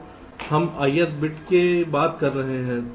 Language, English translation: Hindi, so we are talking of the ith bit